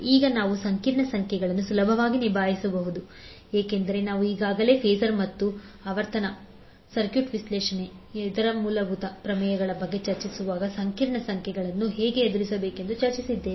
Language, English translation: Kannada, Now the complex numbers we can easily handle because we have already discussed how to deal with the complex numbers when we were discussing about the phasors and the other fundamental theorems of the circuit analysis